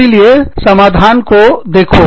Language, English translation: Hindi, So, look for solutions